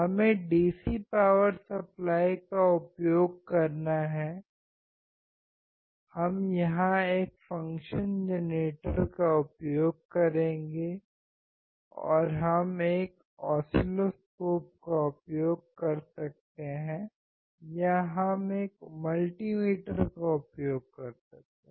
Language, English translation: Hindi, We have to use here the DC power supply, we are here to use function generator and we can use oscilloscope or we can use millimeter